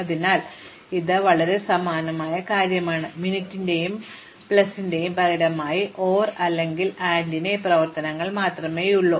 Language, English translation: Malayalam, So, it is a very similar thing, we just have just these operations of OR and AND, instead of min and plus